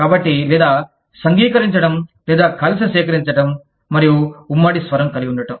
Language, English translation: Telugu, So or, unionizing, or collecting together, and having a common voice